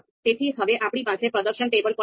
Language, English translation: Gujarati, So now we have we have the performance table also